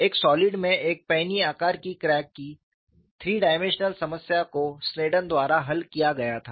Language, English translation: Hindi, The 3 dimensional problem of a penny shaped crack in a solid was solved by Sneddon